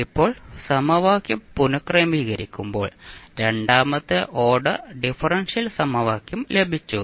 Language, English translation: Malayalam, Now when we rearrange then we got the second order differential equation